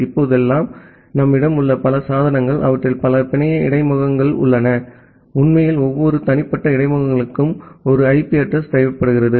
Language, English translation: Tamil, Many of the devices that we have nowadays, they have multiple network interfaces and actually we require one IP address for every individual interfaces